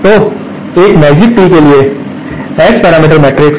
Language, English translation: Hindi, So, the S parameter matrix for a magic tee